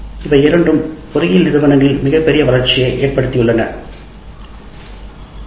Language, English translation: Tamil, And these two have resulted in a tremendous growth of engineering institutions